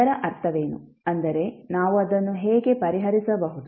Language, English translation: Kannada, What does it mean, like how we will solve it